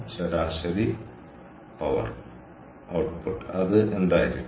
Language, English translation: Malayalam, so average power output, what is it going to be